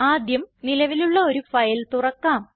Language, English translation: Malayalam, Lets first open an existing file